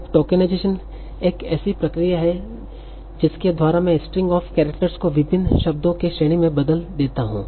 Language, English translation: Hindi, So, now, tokenization is the process by which I convert this string of characters into sequence of various words